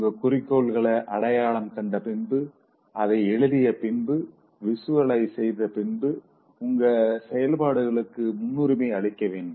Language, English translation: Tamil, Having identified your goals and then writing it and then visualizing, you should prioritize your activities